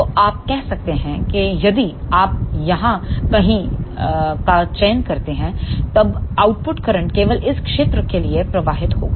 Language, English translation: Hindi, So, you can say if you select somewhere here then the output current will flow only for this region